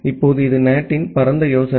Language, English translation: Tamil, Now, this is the broad idea of NAT